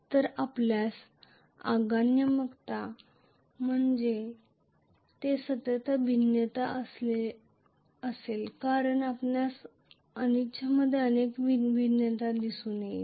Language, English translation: Marathi, So, you will have a continuous variation in the inductive because you are going to see a continuous variation in the reluctance